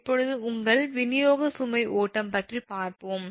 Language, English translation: Tamil, now we will come that your distribution load flow